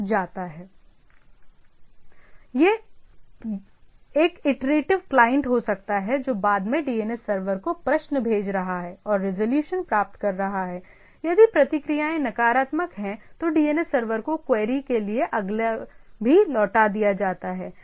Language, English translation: Hindi, Or it can be iterative client subsequently send queries to the DNS server and receive the resolution; if responses is negative, DNS server to query the next is also returned